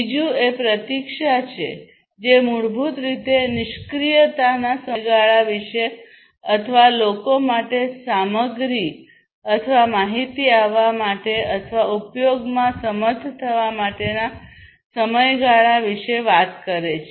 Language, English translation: Gujarati, Second is the waiting the waiting time, which is basically talking about the period of inactivity or people for material or information to arrive or to be able to use